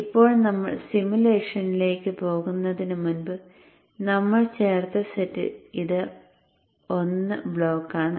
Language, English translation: Malayalam, Now before we go to the simulation, what is it that we have added